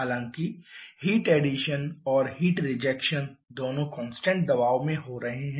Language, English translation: Hindi, However, the heat addition and heat rejection both are taking place at constant pressure